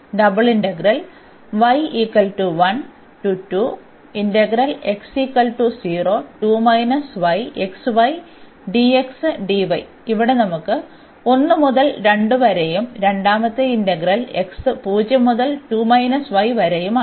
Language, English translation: Malayalam, So, here we have the y from 1 to 2 and the second integral x 0 to 2 minus y